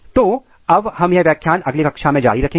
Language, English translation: Hindi, So, now, we will continue this lecture in next class